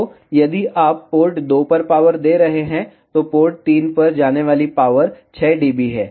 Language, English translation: Hindi, So, if you are giving the power at port 2, so the power that is going to port 3 is 6 dB